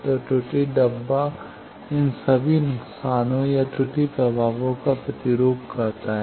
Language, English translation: Hindi, So, error box represent all these losses or error effects